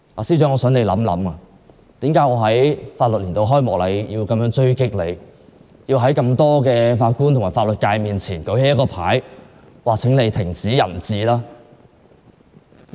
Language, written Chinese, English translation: Cantonese, 司長應反省為何我會在法律年度開啟典禮上在多位法官和法律界人士面前高舉標語追擊她，希望她停止"人治"。, The Secretary for Justice should ask herself why I went after her and held up banners against her in front of so many judges and legal practitioners at the Ceremonial Opening of the Legal Year in the hope that she could put an end to the rule of man